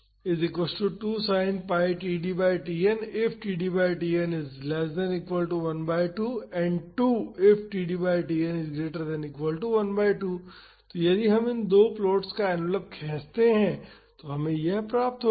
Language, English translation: Hindi, So, if we draw the envelope of these two plots we would get this